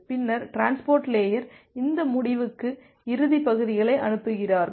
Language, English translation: Tamil, And then the transport layer they are sending these end to end segments